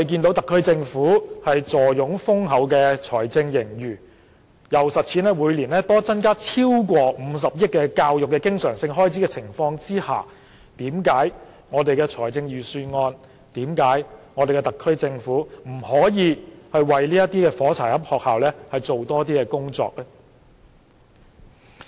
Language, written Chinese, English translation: Cantonese, 特區政府坐擁豐厚的財政盈餘，每年增加超過50億元教育經常性開支，為甚麼預算案、為甚麼特區政府不可以為這些"火柴盒式校舍"多做一點工作？, With an abundant fiscal surplus the SAR Government has been increasing the recurrent expenditure on education by over 5 billion annually . Why can the Budget and the SAR Government not do more for such matchbox - style school premises?